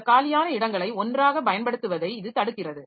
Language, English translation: Tamil, So, that stops us from using all these free spaces together